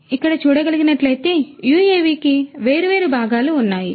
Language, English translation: Telugu, So, as you can see over here, this UAV has different parts